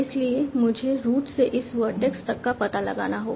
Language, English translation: Hindi, So I have to find out from root to this vertex